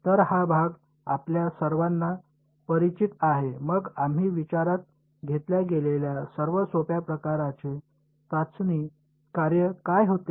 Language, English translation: Marathi, So, this part is sort of familiar to all of you right; then, what was the simplest kind of testing function that we considered